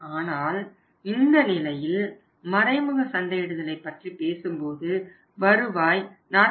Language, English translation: Tamil, But in this case when we are talking with indirect marketing this return is not 44